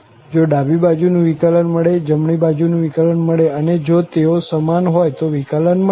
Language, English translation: Gujarati, If the left hand derivative exists, right hand derivative exists and they are equal then the derivative exists